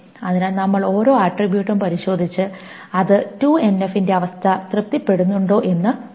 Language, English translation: Malayalam, So we test each attribute and see whether it satisfies the condition of the 2NF